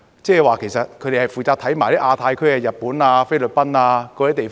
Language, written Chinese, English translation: Cantonese, 即是說，其實他們亦負責審視亞太區、日本、菲律賓等地方。, That is to say they are also responsible for overseeing such places as the Asia - Pacific region Japan and the Philippines